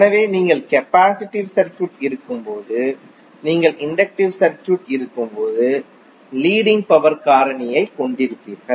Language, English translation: Tamil, So in that case when you have capacitive circuit you will have leading power factor when you have inductive circuit when you will have lagging power factor